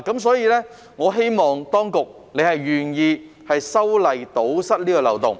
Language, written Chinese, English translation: Cantonese, 所以，我希望當局願意修例堵塞這個漏洞。, In this connection I hope that the authorities will be willing to plug this loophole